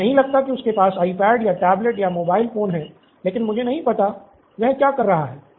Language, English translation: Hindi, I guess he doesn’t have an iPad or a tablet or a mobile phone but I don’t know what he is up